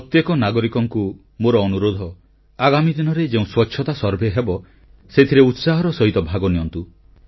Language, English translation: Odia, And I appeal to every citizen to actively participate in the Cleanliness Survey to be undertaken in the coming days